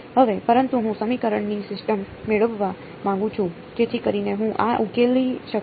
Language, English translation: Gujarati, Now, but I want to get a system of equation so that I can solve this